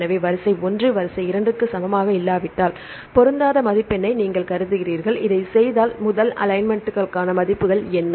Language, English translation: Tamil, So, you consider mismatch score if sequence 1 is not equal to sequence 2, if you do this what is the score for the first alignments